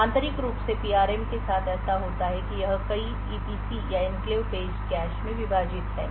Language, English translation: Hindi, So internally what happens with the PRM is that it is divided into several EPC’s or Enclave Page Caches